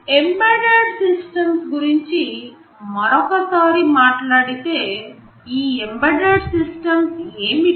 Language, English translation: Telugu, Talking about embedded systems again, what are these embedded systems